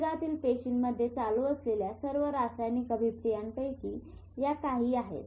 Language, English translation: Marathi, These are some of the all chemical reactions which are going on in the cell body